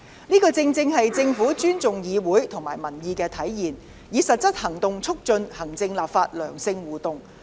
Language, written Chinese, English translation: Cantonese, 這正是政府尊重議會和民意的體現，以實際行動促進行政立法的良性互動。, This is a gesture made by the Government to show its respect for the legislature and public opinion as well as a concrete move to foster benign interaction between the executive and the legislature